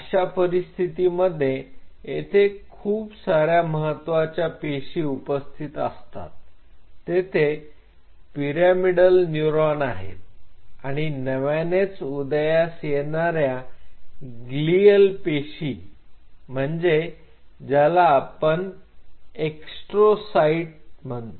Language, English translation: Marathi, In that situation most of the prominent cells which were present there where pyramidal neurons and emerging glial cells which are mostly astrocytes